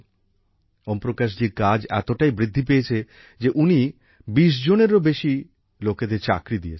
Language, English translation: Bengali, Om Prakash ji's work has increased so much that he has hired more than 20 people